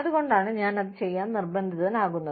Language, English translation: Malayalam, Which is why, i am being forced to do it